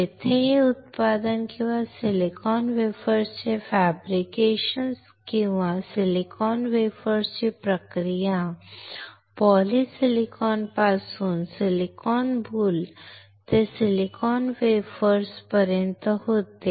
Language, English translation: Marathi, Where this manufacturing or the or the fabrication of the silicon wafers or the process of the silicon wafers from polysilicon to silicon boule to silicon wafers occurs